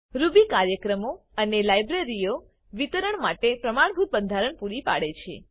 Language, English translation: Gujarati, It provides a standard format for distributing Ruby programs and libraries